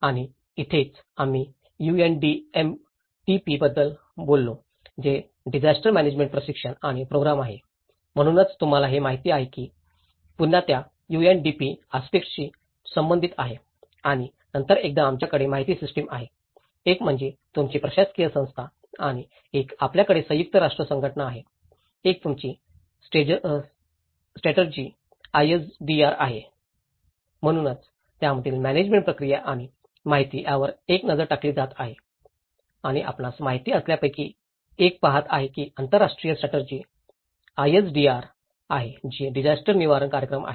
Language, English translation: Marathi, And this is where we also talk about the UNDMTP which is again the disaster management training and program so, you know this is again very much linked with that UNDP aspect and then once, we have the information systems, one you have the governing bodies, one you have the UN agencies, one you have the strategy ISDR, so that is how one is looking at the management process of it and the information and one is looking at the you know, this the international strategy ISDR which is the disaster reduction program